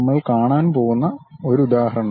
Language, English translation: Malayalam, One example we are going to see